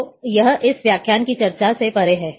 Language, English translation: Hindi, So, that is beyond discussion of this lecture